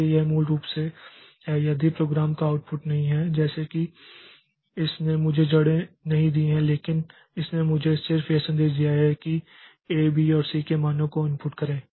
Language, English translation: Hindi, It is not output so it is basically not the output of the program like it has not given me the roots but it has just given me the message that input the values of A, B and C